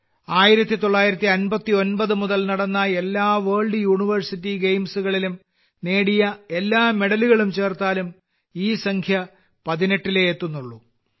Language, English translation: Malayalam, You will be pleased to know that even if we add all the medals won in all the World University Games that have been held since 1959, this number reaches only 18